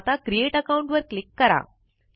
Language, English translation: Marathi, So, lets click Create Account